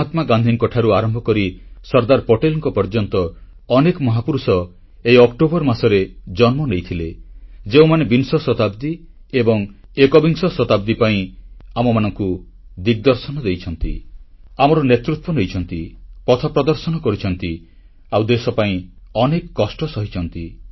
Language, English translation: Odia, From Mahatma Gandhi to Sardar Patel, there are many great leaders who gave us the direction towards the 20th and 21st century, led us, guided us and faced so many hardships for the country